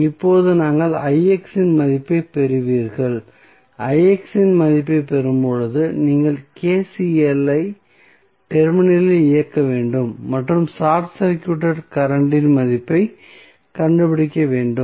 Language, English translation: Tamil, So, now, you get you get the value of Ix, when you get the value of Ix you have to just run the KCL at node and find out the value of the short circuit current